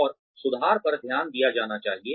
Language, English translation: Hindi, And, the improvement should be noticed